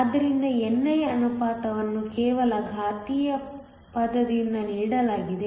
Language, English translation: Kannada, So, the ratio of ni is just given by the exponential term